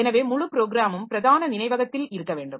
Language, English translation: Tamil, So, the program must be there in the main memory